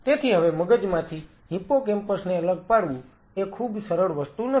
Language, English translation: Gujarati, So, now in the brain isolating hippocampus is not something very easy